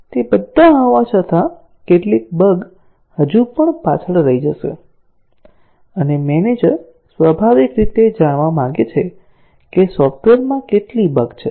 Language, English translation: Gujarati, In spite of all that, some bugs will be still left behind and a manager naturally would like to know, how many bugs are there in the software